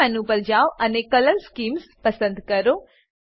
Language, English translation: Gujarati, Go to View menu and select Color schemes